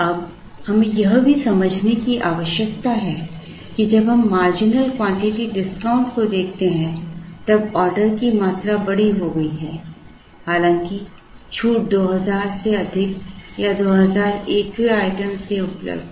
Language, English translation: Hindi, Now, we also need to understand that the order quantities have become bigger in when we looked at the marginal quantity discount, even though the discount is available from 2000 plus onwards or 2000 and 1st item onwards